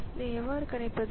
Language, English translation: Tamil, So, that is the prediction